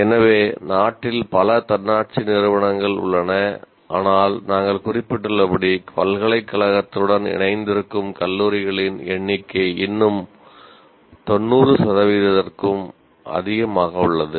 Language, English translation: Tamil, So you have several autonomous institutions in the country, but still as we mentioned that a number of colleges which are affiliated to a university constitute still about more than 90 percent